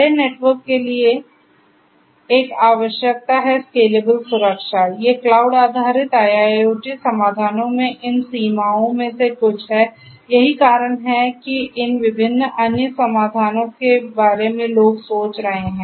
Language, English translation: Hindi, There is a requirement for the big network and need for scalable security, these are some of these limitations in cloud based IIoT solutions, that is why there are these different other solutions people are thinking of